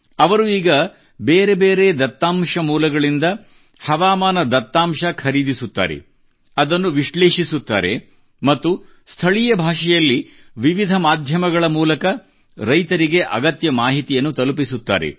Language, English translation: Kannada, Now he purchases weather data from different data sources, analyses them and sends necessary information through various media to farmers in local language